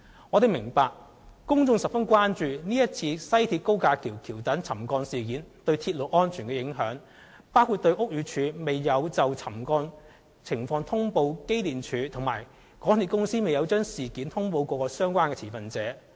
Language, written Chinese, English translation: Cantonese, 我們明白，公眾十分關注今次西鐵高架橋橋躉沉降事件對鐵路安全造成的影響，亦關注屋宇署未有就沉降情況通報機電署，以及港鐵公司未有將事件通報各相關持份者。, We appreciate that the public are deeply concerned as to whether the subsidence of the viaduct piers of the West Rail Link will affect railway safety . And it is also a cause for concern that BD failed to notify EMSD of the subsidence condition and MTRCL did not notify relevant stakeholders of the incident